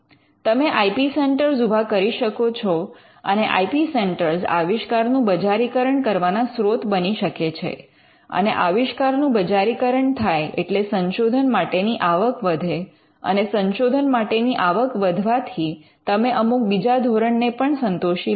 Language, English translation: Gujarati, You could set up IP centres and IP centres could become a source for commercializing the inventions and because inventions get commercialized you have more revenue for research and because there is more revenue available for research you could be satisfying other parameters as well